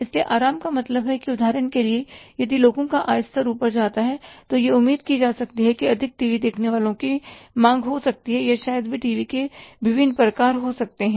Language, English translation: Hindi, So, comfort means that for example if the income level of the people goes up, then it can be expected that more CTVs may be demanded by the people or maybe there are the different variants of the CTVs